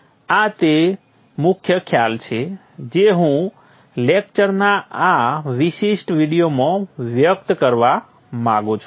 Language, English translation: Gujarati, This is the key concept that I want to convey in this particular video lecture